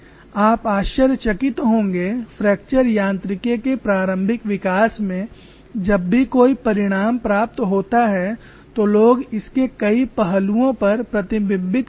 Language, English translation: Hindi, So in the initial development of fracture mechanics whenever any result is obtained people reflect many aspects of it